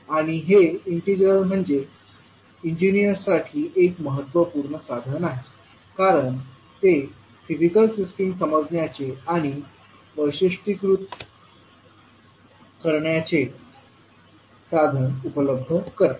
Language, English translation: Marathi, And this particular integral is very important tool for the engineers because it provides the means of viewing and characterising the physical systems